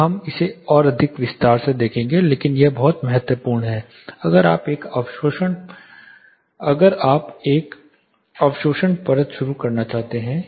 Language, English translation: Hindi, We will look at it more in detail, but this is so critical if you start introducing an absorptive layer here